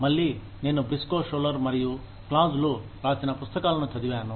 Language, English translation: Telugu, Again, I have gone through, the book by Briscoe, Schuler, and Claus